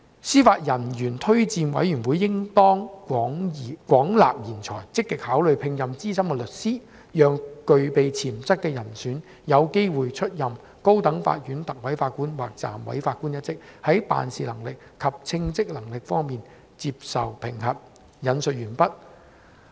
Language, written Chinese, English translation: Cantonese, 司法人員推薦委員會應當廣納賢才，積極考慮聘任資深律師，讓具備潛質的人選有機會出任高等法院特委法官或暫委法官一職，在辦事能力及稱職能力方面接受評核'。, The Judicial Officers Recommendation Commission should widen its search and should actively consider making such appointments so that potential candidates can receive experience sitting as Recorders and as Deputy Judges in the High Court and be assessed on capability as well as suitability